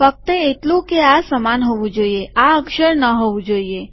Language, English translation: Gujarati, Its only that these have to be identical, these need not be characters